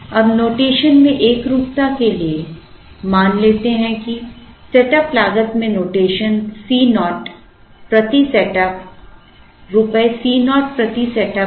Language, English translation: Hindi, Now for the sake of uniform notation, let us assume that, the setup cost has the notation C naught per setup, Rupees C naught per setup